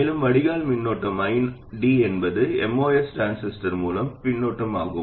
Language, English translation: Tamil, And the drain current ID is the current through the MOS transistor